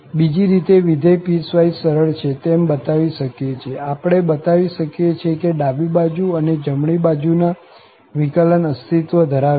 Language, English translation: Gujarati, The other way round, we can show if the function is piecewise smooth, we can show that left and right derivative exists